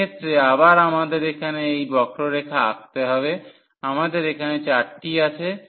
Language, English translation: Bengali, So, in this case again we need to draw these curves here we have the 4